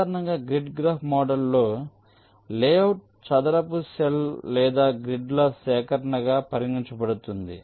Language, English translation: Telugu, so in general in the grid graph model the layout is considered as a collection of square cells or grid